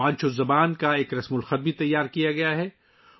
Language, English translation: Urdu, A script of Vancho language has also been prepared